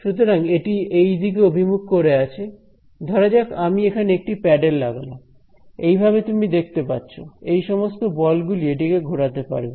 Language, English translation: Bengali, So, these are pointing in this direction these are pointing in this direction, supposing I put a paddle over here like this, you can see that these forces will make this paddle rotate over here